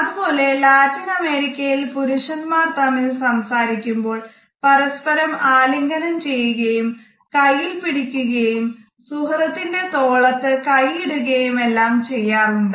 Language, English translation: Malayalam, Similarly, we find that in Latin American countries it is common for men to hug each other or grab the arm of a friend or place their hand on the shoulder of a friend during their communication